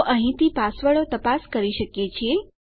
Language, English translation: Gujarati, So from here on we can check our passwords